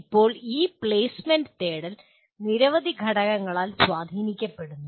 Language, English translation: Malayalam, Now this seeking placement is influenced by a large number of factors